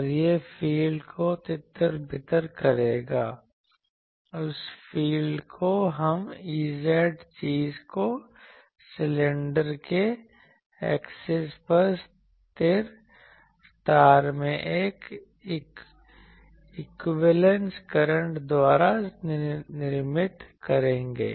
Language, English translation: Hindi, And that will scatter the field that field we will call E z thing created by the equivalence current in the wire assumed to be to be located at the axis of the cylinder